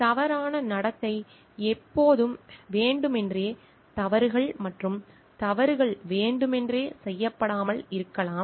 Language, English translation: Tamil, Misconduct is always intention mistakes and errors may not be committed intentionally